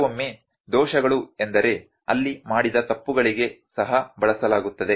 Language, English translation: Kannada, Sometimes errors is the term that is also used for the mistakes there were made